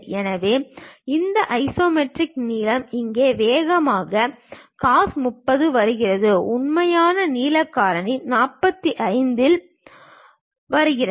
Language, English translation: Tamil, So, that isometric length thing comes faster cos 30 here; the true length factor comes at 45